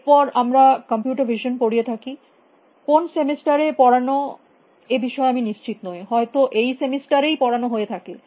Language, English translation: Bengali, Then we have computer vision; I am not quite sure which semester, may be this semester it is being offered